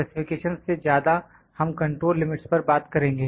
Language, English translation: Hindi, More than specifications we will talk about the control limits